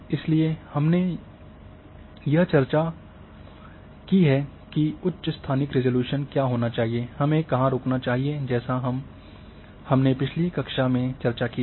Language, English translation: Hindi, So, that also we have discussed that what should be the higher spatial resolution, where we should stop, so that we have discussed in the previous class